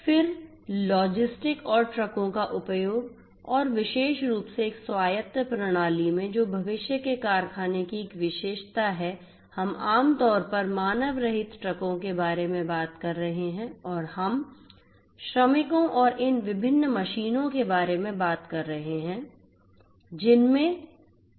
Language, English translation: Hindi, Then use of logistics and trucks and particularly in an autonomous system which is a characteristic of the factory of the future we are typically talking about unmanned, unmanned trucks and we are talking about workers and these different machines which have wearables